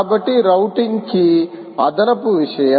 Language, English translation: Telugu, ok, so the routing key is an additional thing